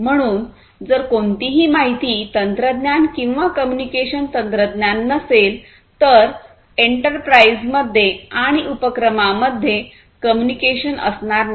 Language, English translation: Marathi, So, if there is no information technology or communication technology there is no communication within the enterprise and across enterprises